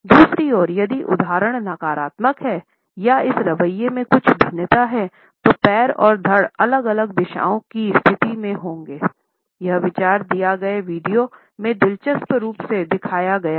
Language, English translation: Hindi, On the other hand, if the instance is negative or there is certain diffidence in the attitude it is also perceptible because the feet and torso would be positioned in different directions; this idea is interestingly shown in the given video